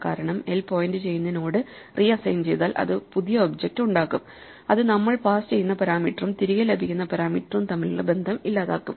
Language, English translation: Malayalam, So same way if we reassign l or self to point to a new node then we will lose the connection between the parameter we passed to the function and the parameter we get back